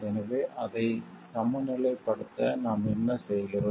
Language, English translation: Tamil, So, what are we doing for it to balance it